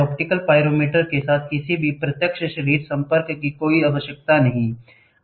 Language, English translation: Hindi, There is no need for any direct body contact with the optical pyrometer